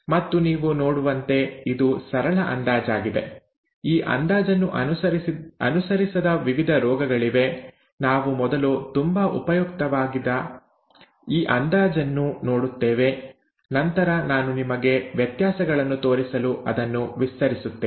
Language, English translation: Kannada, And as you can see, this is a simple approximation, there are various different diseases that do not follow this approximation, we will first look at this approximation which is very useful and then I will extend that to show you the differences